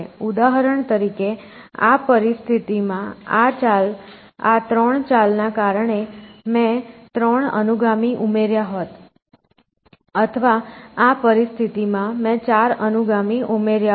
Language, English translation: Gujarati, So, for example, in this situation I would have added three successors, because of the 3 moves I can make or in this situation, I would have added four successors